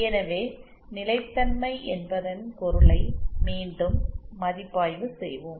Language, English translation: Tamil, So let us review once again what we mean by stability